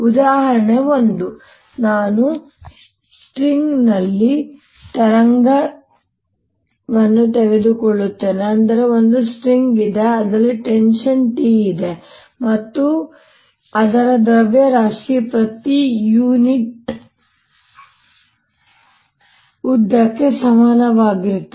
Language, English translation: Kannada, example one: i take wave on a string, that is, there is wave string which has tension t unit and it mass per unit length is equal to mu